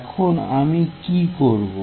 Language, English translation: Bengali, Now, what I am going to do